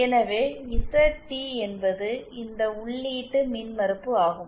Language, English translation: Tamil, So, ZT is this input impedance